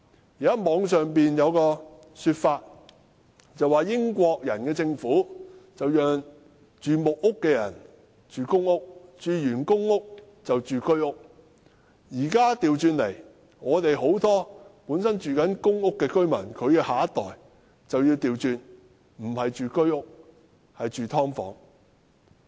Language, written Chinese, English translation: Cantonese, 現在互聯網上有一種說法，說英國人的政府讓住在木屋的人遷入公屋，然後遷入居屋；現在情況卻倒過來，很多公屋居民的下一代不是遷入居屋，而是住"劏房"。, There is this saying on the Internet the Government under the British rule let people living in wooden huts move into public housing and people living in public housing move into Home Ownership Scheme HOS flats . The situation nowadays is quite the contrary . The next generation of many public housing occupants have not moved into HOS flats but subdivided units